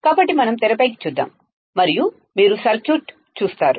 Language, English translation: Telugu, So, Let us come back on the screen and you will see the circuit